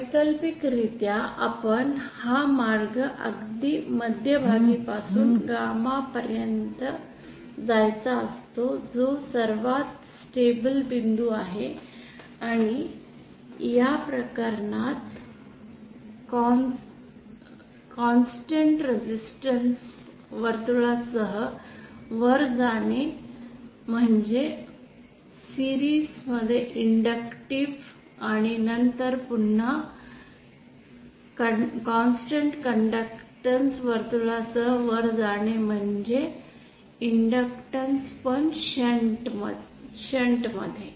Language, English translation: Marathi, Alternatively we have could have chosen this path as well from the center to the this point gamma s which is the most stable point, and in this case going along a constant resistance circle upwards mean inductive in series, and then going upwards again along a constant conductance circle also means an inductance but in shunt